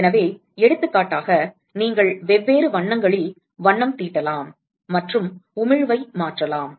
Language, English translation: Tamil, So, for example, you could paint with different colours and you could change the emissivity